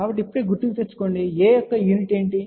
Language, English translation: Telugu, So, just recall now, what was the unit of A